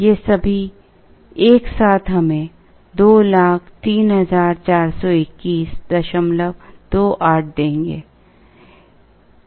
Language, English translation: Hindi, All of these put together would give us 203421